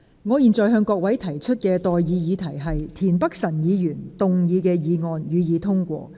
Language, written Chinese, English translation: Cantonese, 我現在向各位提出的待議議題是：田北辰議員動議的議案，予以通過。, I now propose the question to you and that is That the motion moved by Mr Michael TIEN be passed